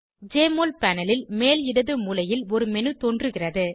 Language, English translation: Tamil, A menu appears on the top left corner of the Jmol panel